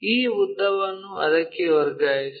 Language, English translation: Kannada, Transfer this length in this direction